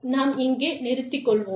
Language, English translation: Tamil, So, we will stop here